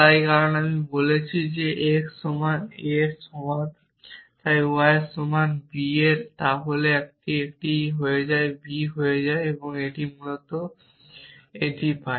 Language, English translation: Bengali, So, because I am saying x equal to a and y is equal to b then this becomes a this becomes b and I get this essentially then from this